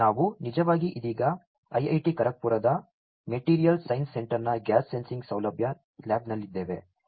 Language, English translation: Kannada, We are actually right now in the gas sensing facility lab of the Material Science Centre of IIT Kharagpur